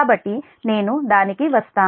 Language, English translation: Telugu, so i will come to that